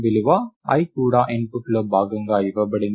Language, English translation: Telugu, The value i is also given as part of the input